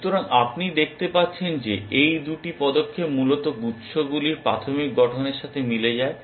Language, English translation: Bengali, So, you can see these two steps correspond to the initial formation of the clusters essentially